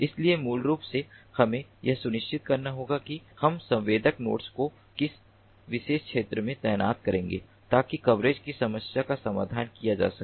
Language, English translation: Hindi, so basically we have to ensure that how we are going to deploy the sensor nodes in a particular region of interest so that the problem of coverage is addressed